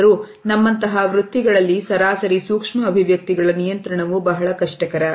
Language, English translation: Kannada, However, on an average in professions like us we find that the control of micro expressions is very difficult